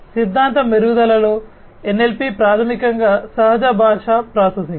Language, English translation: Telugu, In theory improving in NLP, NLP is basically Natural Language Processing